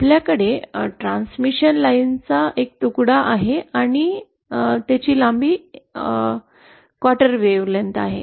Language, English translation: Marathi, We have a piece of transmission line and then a quarter wavelength